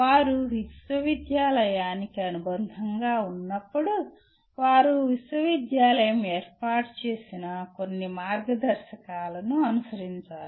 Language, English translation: Telugu, When they are affiliated to university, they still have to follow some guidelines set up by the university